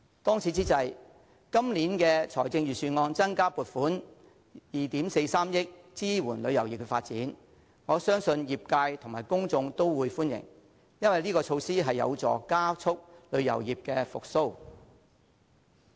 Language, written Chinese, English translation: Cantonese, 當此之際，今年預算案增加撥款2億 4,300 萬元支援旅遊業發展，我相信業界及公眾都會歡迎，因為這項措施有助加速旅遊業復蘇。, I believe the additional allocation of 243 million mentioned in this Budget to support the development of the tourism industry will be welcomed by the industry and the public because it will help to speed up the recovery of the industry